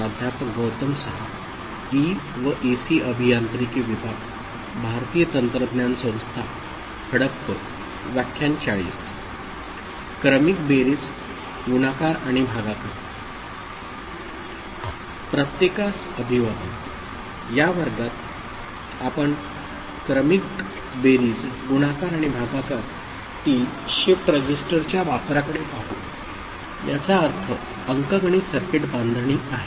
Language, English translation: Marathi, Hello everybody, in this class we shall look at use of shift registers in Serial Addition, Multiplication and Division ok; that means, in arithmetic circuit building